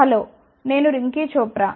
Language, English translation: Telugu, Hello, I am Rinky Chopra